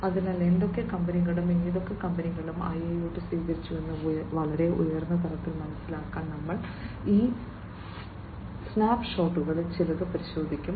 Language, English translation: Malayalam, So, you know we will just go through some of these snapshots to understand at a very high level, how which all companies and which all companies have adopted the IIoT, and you know which companies are in the process and so on